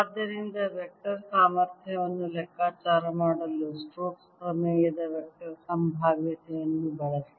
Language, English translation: Kannada, so use the vector potential of stokes theorem to calculate vector potential